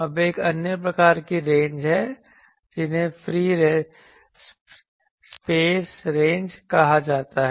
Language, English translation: Hindi, Now, there are another type of ranges which are called the free space ranges